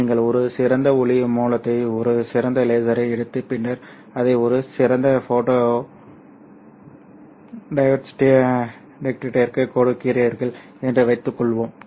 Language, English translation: Tamil, Suppose you take an ideal light source, an ideal laser and then you give it to an ideal photo detector